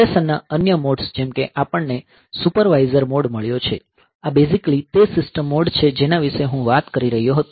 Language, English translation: Gujarati, So, other modes of operation like we have got supervisor mode, this is basically that system mode that I was talking about